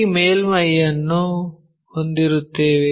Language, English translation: Kannada, So, we will have this surface